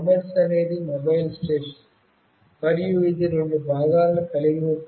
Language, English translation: Telugu, This MS is the Mobile Station, and it consists of two components